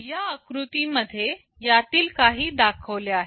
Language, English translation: Marathi, In this diagram some of these are shown